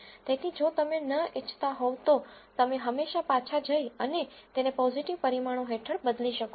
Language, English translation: Gujarati, So, if you do not want that you can always go back and change it under the parameter positive